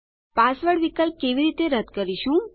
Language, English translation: Gujarati, How do we remove the password option